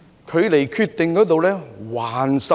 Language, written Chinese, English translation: Cantonese, 距離下決定還差甚遠。, It is still a long way from making a decision